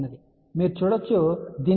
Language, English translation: Telugu, You can see here this is the coupling value which is 20